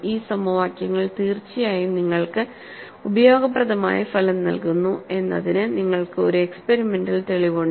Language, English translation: Malayalam, You have an experimental proof, that these equations indeed give you useful result